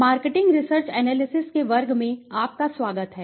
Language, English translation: Hindi, Welcome everyone to the class of marketing research analysis